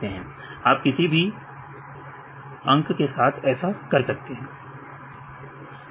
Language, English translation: Hindi, So, you can do with any numbers right 15 or 16 whatever you like